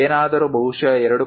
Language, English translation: Kannada, If anything 2